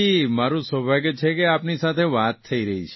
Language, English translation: Gujarati, I am lucky to be talking to you